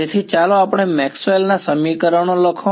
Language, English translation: Gujarati, So, let us say write down our Maxwell’s equations